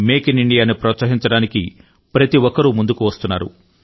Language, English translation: Telugu, In order to encourage "Make in India" everyone is expressing one's own resolve